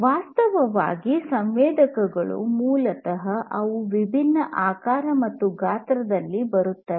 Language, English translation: Kannada, Actually, the sensors basically they come in different shapes and sizes